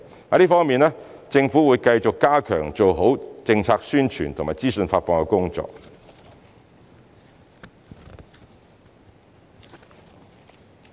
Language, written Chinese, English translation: Cantonese, 在這方面，政府會繼續加強及做好政策宣傳和資訊發放的工作。, In this regard the Government will continue to step up the work on information dissemination and promotion